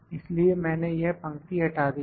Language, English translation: Hindi, So, I have deleted this row